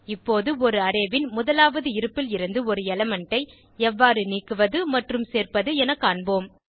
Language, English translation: Tamil, Now, let us see how to add/remove an element from the 1st position of an Array